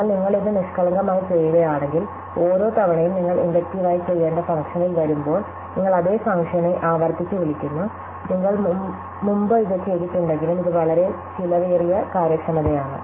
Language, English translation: Malayalam, But if you do it naively, every time you come to the function to be done inductively, you recursively call that same function, even if you have done it before and this can be very expensive as we shall see